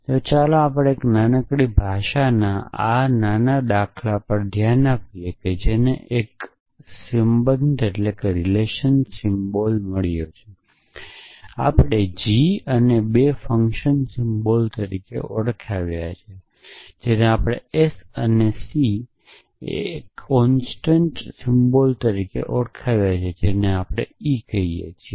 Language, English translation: Gujarati, So, let us look at this small example of a small language which is got one relation symbol which, we have called g and two function symbols we have called s and c and one constant symbol, which we have called e essentially